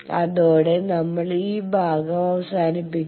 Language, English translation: Malayalam, With that we conclude this section